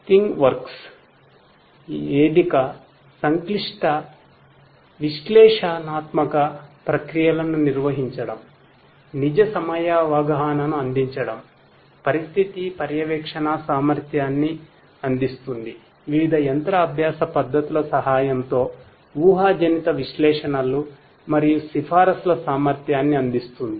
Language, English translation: Telugu, ThingWorx platform is another example which performs complex analytical processes, deliver real time perception, offers the ability of condition monitoring, offers the ability of predictive analytics and recommendation with the help of different machine learning techniques